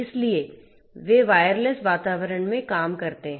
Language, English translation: Hindi, So, they operate in wireless environment